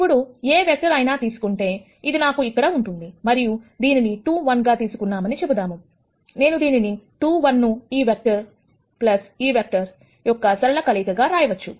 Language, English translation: Telugu, Now, if you take any vector that I have here, let us say take 2 1, I can write 2 1 as some linear combination, of this vector plus this vector